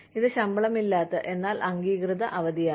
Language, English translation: Malayalam, It is unpaid, but authorized leave